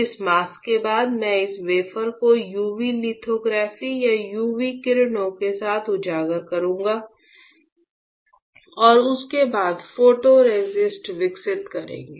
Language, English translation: Hindi, So, this is my bright field mask; after this mask, I will expose this wafer with UV lithography or UV rays followed by developing photoresist